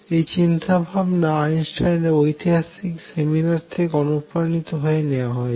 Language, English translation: Bengali, Historically is this thinking has been historically was inspired by remark by Einstein in seminar